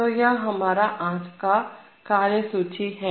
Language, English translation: Hindi, So that is the agenda today